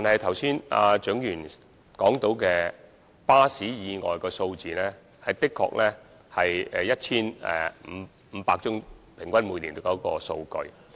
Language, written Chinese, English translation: Cantonese, 剛才蔣議員提及巴士意外的數字，每年平均的確有 1,500 多宗。, Just now Dr CHIANG mentioned the figures of bus accidents and it is true that an average of some 1 500 accidents happens per annum